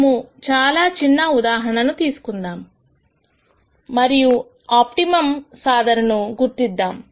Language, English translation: Telugu, Let us take a very very simple example and identify an optimum solution